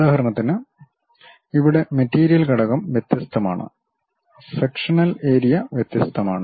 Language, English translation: Malayalam, For example, here the material element is different, the sectional area is different; the sectional area is different, the sectional area is different